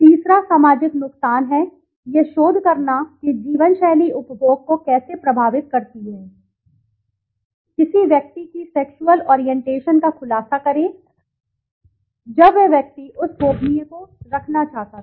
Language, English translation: Hindi, Third is social harm, researching how life style affects consumption, disclose a person's sexual orientation, when that person wanted to keep that confidential